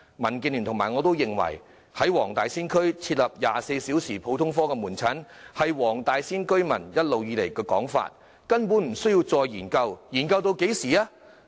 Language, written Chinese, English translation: Cantonese, 民建聯與我均認為，在黃大仙區設立24小時普通科門診服務是黃大仙區居民一直以來的訴求，根本無需再研究，試問還要研究至何時呢？, Both DAB and I consider that there is simply no need to conduct another study for it has been the long - standing aspiration of the residents of Wong Tai Sin for the introduction of 24 - hour general outpatient services in Wong Tai Sin . When will the study be completed?